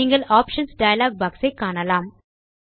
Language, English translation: Tamil, You will see the Options dialog box